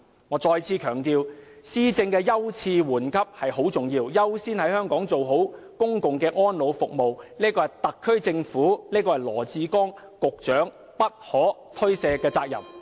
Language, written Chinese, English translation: Cantonese, 我再次強調，施政的優次緩急很重要，優先在香港做好公共安老服務，是特區政府及羅致光局長不可推卸的責任。, I reiterate that according the right priority to policies is an important aspect of governance . And prioritizing public elderly care service in Hong Kong is the rightful duty of the SAR Government and of Secretary Dr LAW Chi - kwong